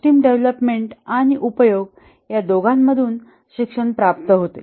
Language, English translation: Marathi, Learning comes from both the development and use of the system